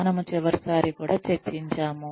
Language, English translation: Telugu, We discussed this last time also